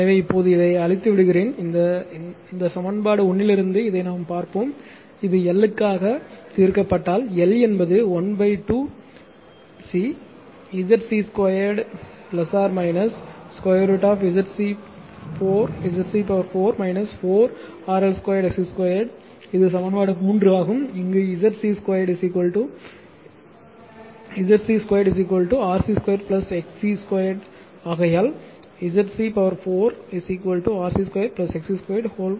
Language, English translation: Tamil, So, now let me clear it therefore, from this from this equation one from this equation one, we will see this one that if you solve for L you will get this you solve it, I have done it for you, but this will solve it you will get l is equal to half into c half c bracket that ZC square plus minus root over ZC to the power 4 minus 4 RL square XC square this is equation three right, where ZC square is equal to this is square right, this is square this is square Z C square is equal to RC square plus XC square therefore, ZC 4 is equal to RC square plus XC square whole square